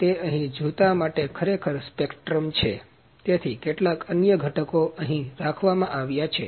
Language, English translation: Gujarati, It is actually the spectrum for the shoe here, so there are certain other components kept here